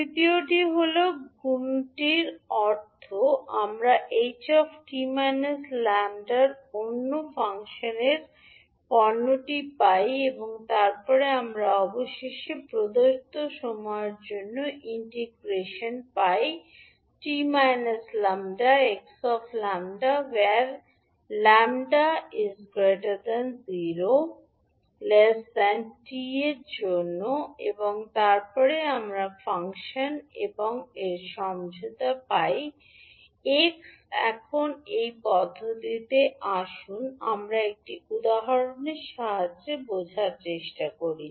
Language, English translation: Bengali, Third is multiplication means we find the product of h t minus lambda and another function x lambda and then we finally get the integration for the given time t we calculate the area under the product h t minus lambda and x lambda for lambda ranging between zero to t, and then we get the convolution of function h and x